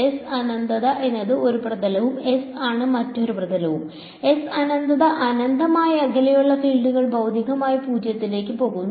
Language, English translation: Malayalam, S infinity is one surface and S is the other surface, S infinity being infinitely far away fields are physically they will go to 0